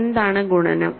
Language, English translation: Malayalam, What is multiplication